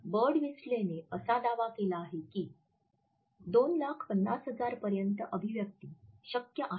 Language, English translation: Marathi, Birdwhistell has claimed that up to 2,50,000 expressions are possible